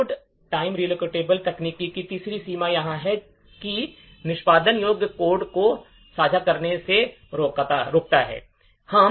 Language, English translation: Hindi, The, third limitation of load time relocatable technique is that it prevents sharing of executable code